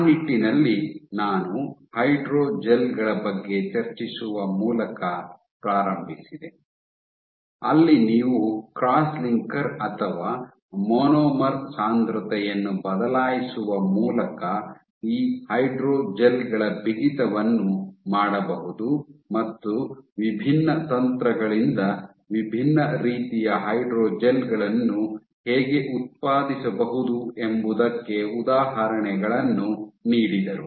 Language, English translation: Kannada, In that regard I started off by discussing about hydrogels where in you can tune the stiffness of these hydrogels by changing the cross linker or monomer concentration, and gave examples of how different kind of hydrogels can be generated and by different techniques